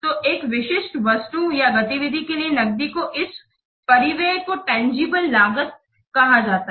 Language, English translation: Hindi, An outlay of the cash for a specific item or activity is referred to as a tangible cost